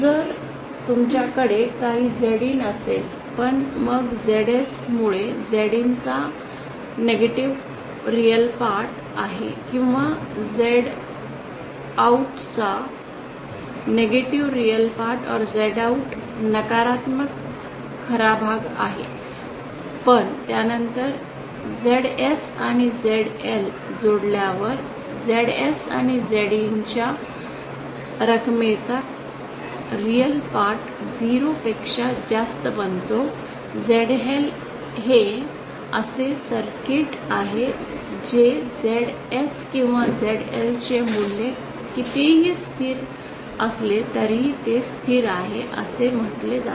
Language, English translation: Marathi, If these conditions that is you have some ZIN but then due to ZS say ZIN itself has a negative real part or Z OUT itself has a negative real part but then on adding ZS and ZL the real part of the sum of ZS and ZIN becomes 0 becomes greater than 0 then such a circuit is said to be stable How to ensure that a circuit is always stable irrespective of what the value of ZS or ZL is so such a circuit which is stable irrespective of the value of ZS or ZL is said to be unconditionally stable